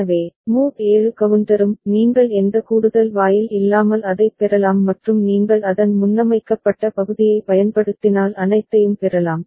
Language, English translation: Tamil, So, mod 7 counter also you can get it without any additional gate and all if you use the fixed preset part of it